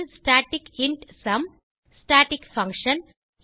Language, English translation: Tamil, static int sum Static function